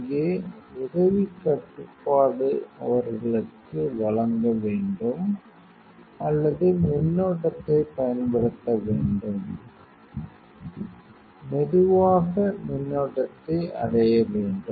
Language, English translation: Tamil, Here help control you have to give them or apply the current here slowly reach the current